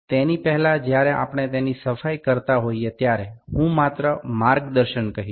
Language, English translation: Gujarati, Before that while we are cleaning it, I like to just tell the guidelines